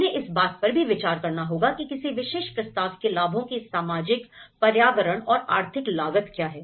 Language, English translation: Hindi, They also have to consider what kind of social, environmental and economic cost of the benefits of a particular proposal